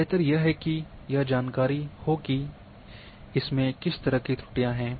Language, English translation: Hindi, The better it is to have that knowledge that what kind of errors it is having